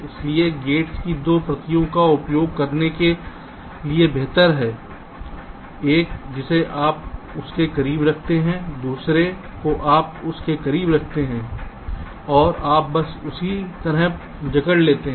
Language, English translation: Hindi, so better to use two copies of the gates, one you place closer to that, other you place closer to that ok, and you just clone like that